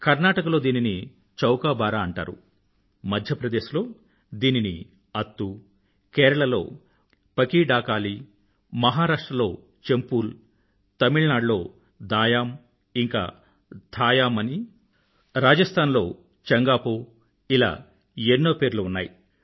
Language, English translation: Telugu, Known as Chowkabara in Karnataka, Attoo in Madhya Pradesh, Pakidakaali in Kerala, Champal in Maharashtra, Daayaam and Thaayaam in Tamilnadu, Changaa Po in Rajasthan, it had innumerable names